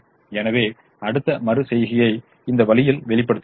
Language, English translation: Tamil, so we show the next iteration this way